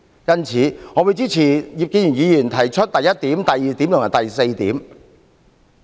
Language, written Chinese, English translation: Cantonese, 因此，我支持葉建源議員議案提出的第一、二及四點。, For this reason I support points 1 2 and 4 proposed in the motion of Mr IP Kin - yuen